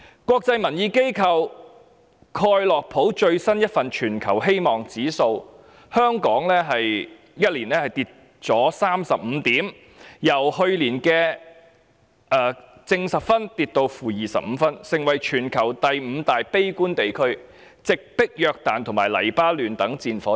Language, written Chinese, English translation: Cantonese, 國際民意機構蓋洛普最新一份全球希望指數報告指出，香港在1年間便下跌了35點，由去年的 +10 分跌至 -25 分，成為全球第五大悲觀地區，直迫約旦和黎巴嫩等戰火之地。, According to the most recent Global Hope Index report published by international polling organization Gallup Hong Kongs score has dropped by 35 points to - 25 in just one year from last years 10 making it the fifth pessimist region in the world immediately after such war - torn countries as Jordon and Lebanon